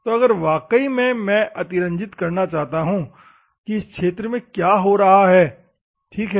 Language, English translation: Hindi, So, if at all I want to exaggerate what is going on this particular location, ok